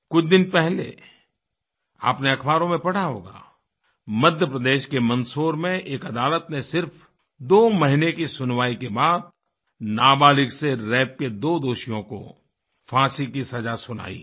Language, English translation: Hindi, Recently, you might have read in newspapers, that a court in Mandsaur in Madhya Pradesh, after a brief hearing of two months, pronounced the death sentence on two criminals found guilty of raping a minor girl